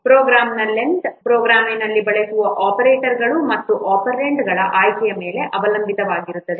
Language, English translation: Kannada, The length of a program it will depend on the choice of the operators and operands used in the program